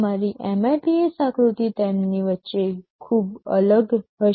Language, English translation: Gujarati, Your MIPS figure will vary drastically among them